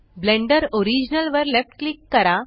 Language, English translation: Marathi, Left click Blender original